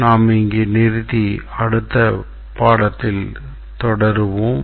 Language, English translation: Tamil, We will stop here and continue in the next lecture